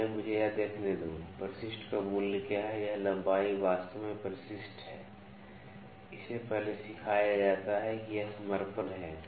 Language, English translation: Hindi, Let me see first: what is the value of addendum this length is actually addendum, this is taught before this is deddendum